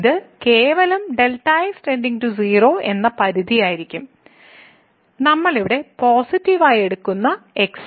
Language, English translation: Malayalam, So, this will be simply the limit goes to 0, the we are taking as positive here